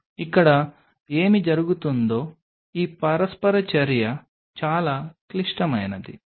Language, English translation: Telugu, This interaction what will be happening here is very critical